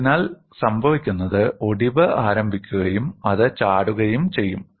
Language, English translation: Malayalam, So, what happens is the fracture will initiate and it will jump